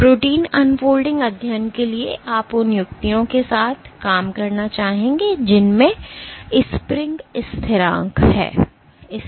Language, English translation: Hindi, So, for protein unfolding studies you would want to work with tips which have spring constants